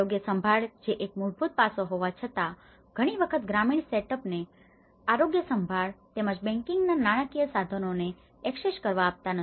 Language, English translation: Gujarati, So, health care which is a fundamental aspect so many of these rural set ups they are not often access to the health care and as well as the banking financial instruments